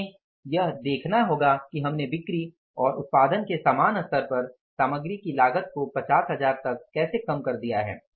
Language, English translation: Hindi, We have to look for that that how we have been able to reduce the cost of material at the same level of sales and production by 50,000 rupees